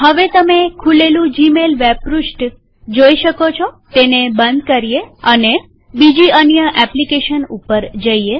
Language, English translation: Gujarati, Now you can see gmail web page opened on the screen.So lets close this and move on to the next one